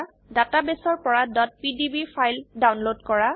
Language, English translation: Assamese, * Download .pdb files from the database